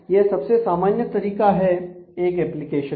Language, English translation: Hindi, So, this is the most common way an application is